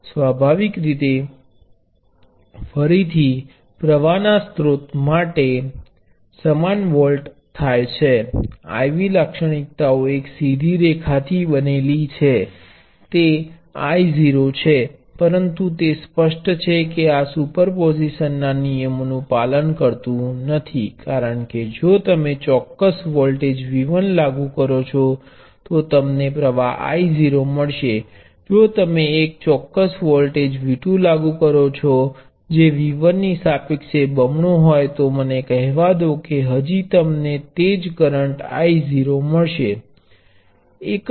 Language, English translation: Gujarati, Obviously the exact same thing volts for a current source; again the I V characteristics consist of a straight line; this is I naught, but it is pretty obvious that superposition does not hold, because if you apply certain voltage V 1, you get a current I naught, you apply a certain voltage V 2 which is let say double of V 1, you will still get a current the same which is the same which is I naught, we will not get double the current